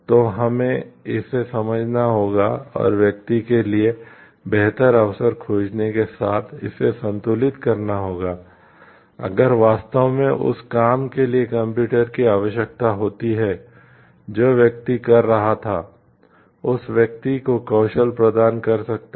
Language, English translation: Hindi, So, we have to understand this and balance it with finding a better opportunity for the person, if truly computer is required for the job that the person was doing can were skill re trained that person